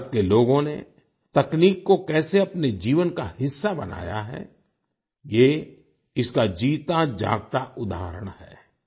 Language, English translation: Hindi, This is a living example of how the people of India have made technology a part of their lives